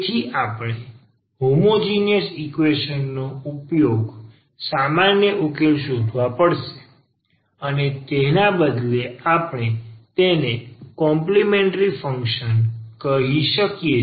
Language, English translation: Gujarati, So, we have to find a general solution of the homogenous equation or rather we call it complementary functions